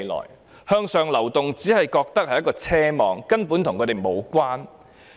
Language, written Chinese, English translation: Cantonese, 市民認為向上流動只是一種奢望，與自己無關。, Upward mobility has become an extravagant hope out of reach for the public